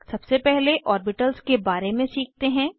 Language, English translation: Hindi, Let us first learn about orbitals